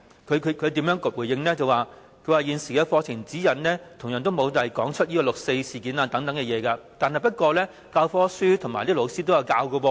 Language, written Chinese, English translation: Cantonese, 教育局的回應是，現時的課程指引同樣沒有提到六四事件等，但教科書和教師卻仍然有教授。, According to the Education Bureau the current curriculum also has not covered events such as the 4 June incident but such events have been mentioned in the textbooks and taught by teachers